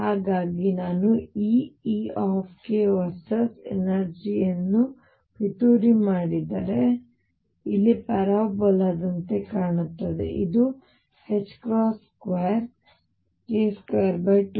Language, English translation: Kannada, So, if I would plot energy versus k, E k versus k it would look like a parabola here, this is h cross square k square over 2 m